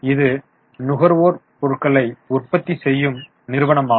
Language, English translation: Tamil, This is a consumer goods manufacturing company